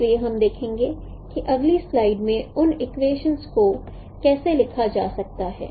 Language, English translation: Hindi, So we will see how those equations can be written in the next slides